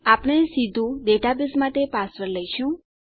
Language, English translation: Gujarati, We would be taking a password straight for our database